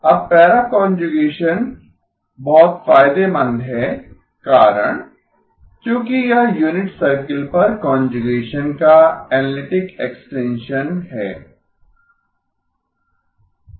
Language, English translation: Hindi, Now the reason para conjugation is very beneficial is because that is the analytic extension of conjugation on the unit circle